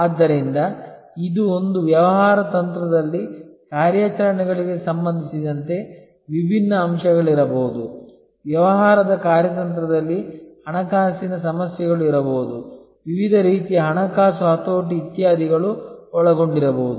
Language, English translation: Kannada, So, this is a point that in a business strategy, there are may be different aspects with respect to operations, in a business strategy there could be financing issues, different types of financing leveraging, etc may be involved